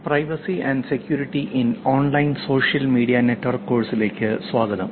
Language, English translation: Malayalam, Welcome to the course privacy and security in online social media